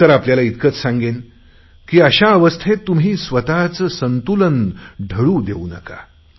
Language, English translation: Marathi, All that I would like to say to you is that in such a situation, don't lose your balance